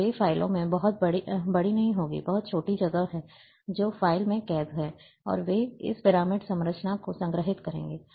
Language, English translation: Hindi, And that those files will not be very large, very small space occupying files,and they will store this pyramid structure